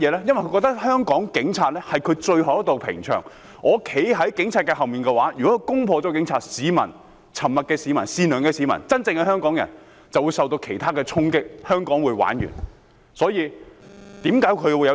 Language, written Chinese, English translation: Cantonese, 因為他們認為香港警察是他們最後一道屏障，我站在警察後面，如果他們攻破了警察，沉默的市民、善良的市民、真正的香港人便會受到其他衝擊，香港便會完蛋。, Why? . Because they regard the Hong Kong Police Force as their last defence . While I am standing behind the Police if those people should breach the Police line members of the public who have remained silent the kindhearted public the real Hongkongers will then suffer other blows and Hong Kong will be doomed